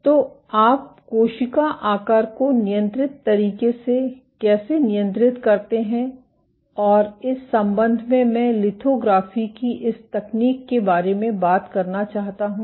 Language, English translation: Hindi, So, how do you go about controlling cell shape in a controlled manner, and in that regard, I want to talk about this technique of lithography ok